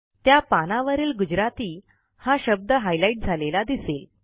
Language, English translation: Marathi, You will observe that the word Gujarati on the page gets highlighted